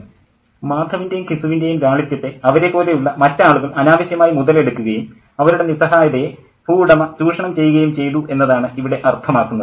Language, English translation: Malayalam, So, the implication here is that other people like Mather and and Gisu have been unduly taken advantage of their simplicity and their helplessness have been exploited by the landlord